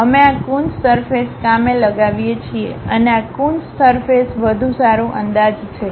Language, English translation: Gujarati, We employ these Coons surfaces and this Coons surfaces are better approximations